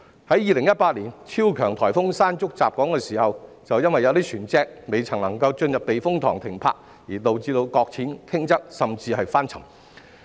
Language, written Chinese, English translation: Cantonese, 在2018年超強颱風"山竹"襲港時，便有船隻因未能進入避風塘停泊而導致擱淺、傾側甚至翻沉。, When super typhoon Mangkhut hit Hong Kong in 2018 some vessels were stranded listed or even capsized for they were unable to berth at typhoon shelters